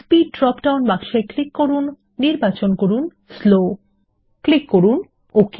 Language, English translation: Bengali, In the Speed field, click on the drop down box, select Slow and click OK